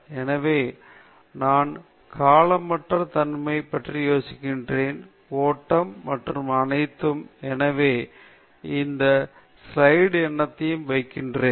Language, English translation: Tamil, So, I just talked about timelessness, and flow, and all that; therefore, I am putting this slide number also